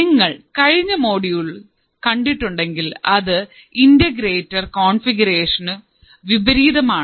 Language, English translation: Malayalam, So, if you have seen the last module, its configuration is opposite to an integrator